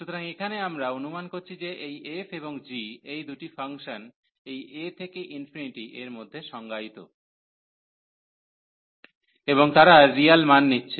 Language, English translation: Bengali, So, here we suppose that this f and g, these are the two functions defined from this a to infinity, and they are taking the real value